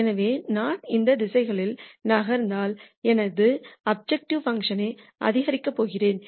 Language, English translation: Tamil, So, if I move in any of these directions I am going to increase my objective function